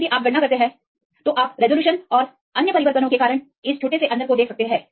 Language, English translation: Hindi, But if you calculate now you can see this little bit differences because of the resolutions and other changes